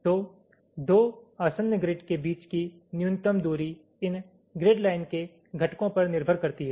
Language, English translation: Hindi, so the minimum distance between two adjacent grids depends on the components on these grid lines